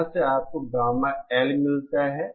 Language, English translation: Hindi, From here you get gamma L